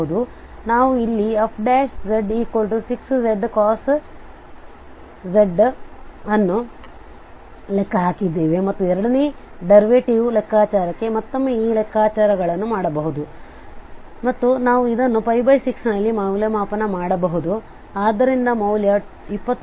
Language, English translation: Kannada, So f prime z is already with sin 6z we have computed here and we can do this computations once again for the second derivative and we can evaluate this at pi by 6, so the value is coming 21 by 16